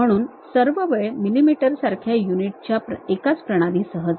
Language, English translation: Marathi, So, all the time go with one uh one system of units like mm